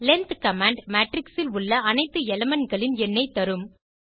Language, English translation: Tamil, Note that the length command will give the total number of elements in the matrix as you see